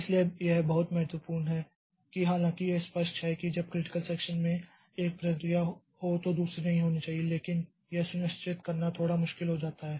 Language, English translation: Hindi, So, this is very important that, though it is obvious that okay when one process in critical section no other process should be there but ensuring it becomes a bit tricky